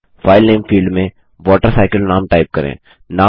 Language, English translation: Hindi, Let us type the name WaterCycle in the field File Name